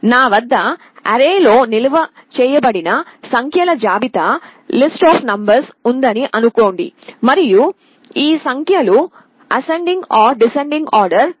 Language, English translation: Telugu, Just assume that I have a list of numbers which are stored in an array, and these numbers are sorted in either ascending or descending order